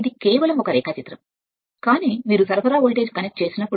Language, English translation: Telugu, It is just a schematic diagram, but when you are connecting supply voltage we will see that right